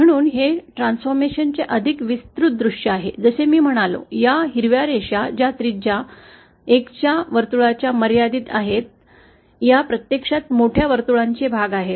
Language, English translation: Marathi, So, this is a more elaborate view of the transformation, as I said, these green lines which are confined within the circle having radius 1, they are actually the portions of bigger circles